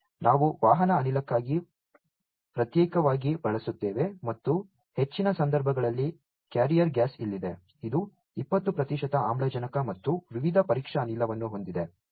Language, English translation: Kannada, And one exclusively we use for the carrier gas and in most of the instances the carrier gas is here, which is having 20 percent of oxygen and a variety of test gas